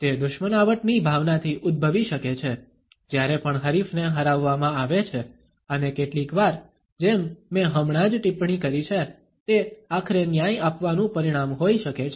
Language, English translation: Gujarati, It may stem forth from a sense of rivalry, whenever rival has been defeated and sometimes as I have commented just now, it may be the result of justice being served ultimately